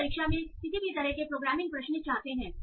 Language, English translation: Hindi, They won't be any programming kind of questions in the exam